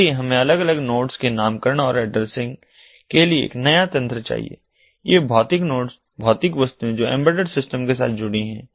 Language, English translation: Hindi, so we need a new mechanism for naming and addressing of the different nodes, these physical nodes, the physical objects that are fitted with embedded systems